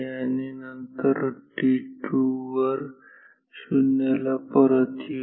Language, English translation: Marathi, And, then at t 2 we will come back to 0 and here